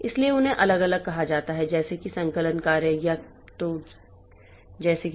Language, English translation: Hindi, So, they are provided separately like say compilation job or so like that